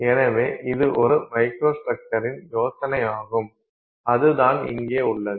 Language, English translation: Tamil, So, this is the idea of a microstructure, right